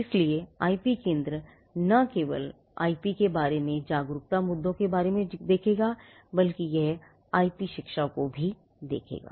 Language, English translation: Hindi, So, the IP centre would not only look at awareness issues with regard to awareness of IP it would also be looking at IP education